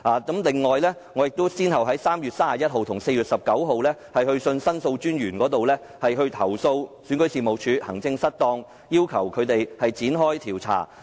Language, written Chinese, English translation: Cantonese, 此外，我亦先後於3月31日和4月19日去信申訴專員公署，投訴選舉事務處行政失當，要求展開調查。, I myself also wrote to the Office of The Ombudsman on 31 March and 19 April complaining about the maladministration of REO and requesting an investigation